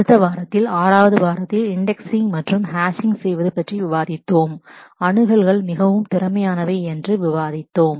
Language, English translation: Tamil, In the following week, in week 6, we discussed about indexing and hashing to for making the accesses really efficient